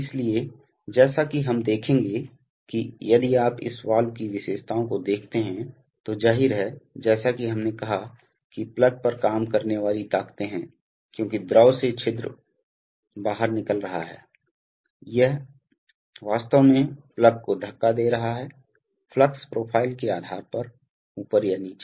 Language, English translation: Hindi, So, as we shall see that, if you see the characteristics of this valve then obviously there are, as we said that there are forces acting on the plug, because from the fluid is flowing out through the orifice, it is actually pushing the plug up or down depending on the flow profile